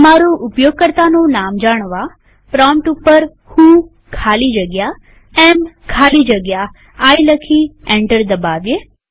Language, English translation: Gujarati, To know what is your username, type at the prompt who space am space I and press enter